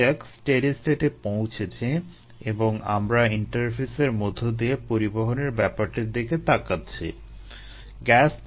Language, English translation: Bengali, let us say that the steady state has been reached and we are looking at the transport across this interface here